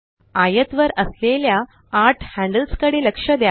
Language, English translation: Marathi, Notice the eight handles on the rectangle